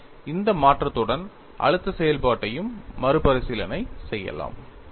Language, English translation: Tamil, So, with this modification, the stress function also can be recast